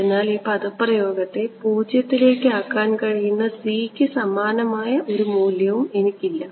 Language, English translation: Malayalam, So, there is no value of c that I can play around with that can make this expression going to 0